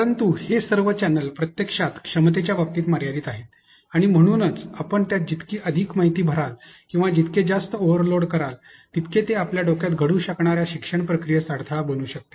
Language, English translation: Marathi, Now, but all these channels actually limited in terms of capacity and therefore, the more you add information to it or the more you overload it, it becomes a hindrance to some process of learning that may happen in your head